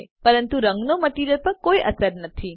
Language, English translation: Gujarati, But the color has no effect on the material